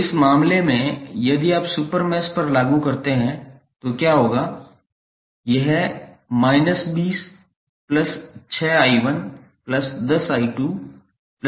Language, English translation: Hindi, So, in this case if you apply to super mesh what will happen